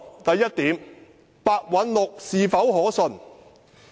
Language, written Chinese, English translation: Cantonese, 第一，白韞六是否可信？, First is Simon PEH reliable?